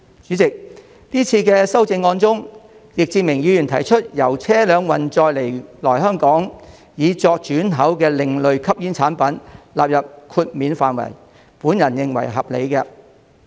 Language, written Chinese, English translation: Cantonese, 主席，這次修正案中，易志明議員提出把由車輛運載來港以作轉口的另類吸煙產品納入豁免範圍，我認為是合理的。, President regarding these legislative amendments Mr Frankie YICK proposes to provide exemption for alternative smoking products imported to Hong Kong by vehicles for re - export and this I think is reasonable